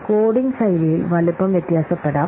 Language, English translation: Malayalam, Size can vary with coding style